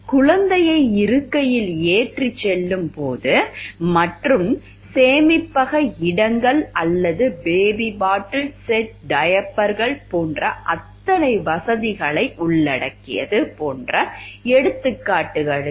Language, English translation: Tamil, For example like when carrying the infant on the seat and how many convenience features to include such as storage spaces or baby bottle set, diapers